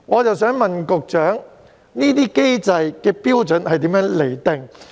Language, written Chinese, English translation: Cantonese, 我想問局長，有關機制的標準如何釐定？, I would like to ask the Secretary How do the authorities determine the criteria under the mechanism?